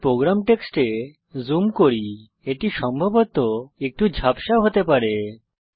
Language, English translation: Bengali, Let me zoom into the program text it may possibly be a little blurred